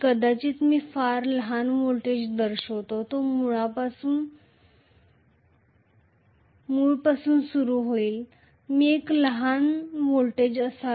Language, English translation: Marathi, Maybe I should show a very very small voltage, it is not starting from the origin I should have a small voltage if there is residual flux normally there will be residual flux